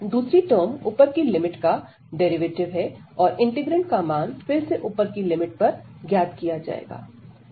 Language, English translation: Hindi, The second term will have the derivative of the upper limit, and the integrand will be evaluated again at this upper limit